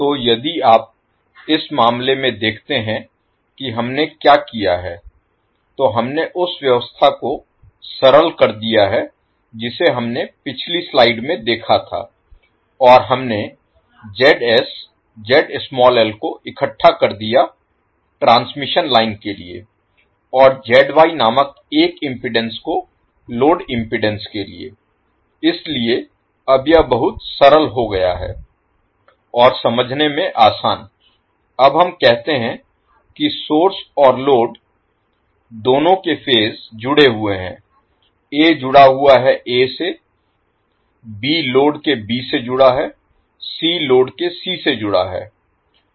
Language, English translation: Hindi, So if you see in this case what we have done, we have simplified the arrangement which we saw in the previous slide and we lump the ZS, Z small l for transmission line and the load impedance through a impedance called ZY, so now it is much simplified and easy to understand now you say that both phases of source and load are connected, A is connected A, B is connected to B of the load, C is connected to C of the load